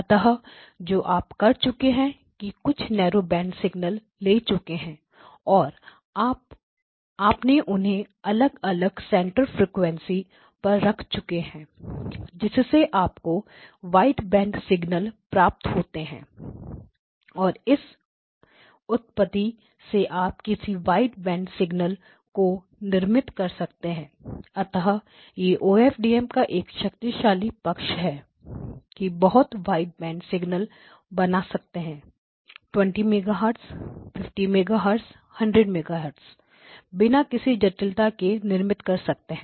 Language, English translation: Hindi, Okay so what you have done is you have taken a number of a narrow band signals and place them in the frequency at different centre frequencies, so you get a single wide band signal, and this is a method that can be used to generate any wide band signal so that is one of the strengths of OFDM that you can generate very a wide band signals; 20 megahertz 50 megahertz 100 megahertz you can generate without increase in significant increase in complexity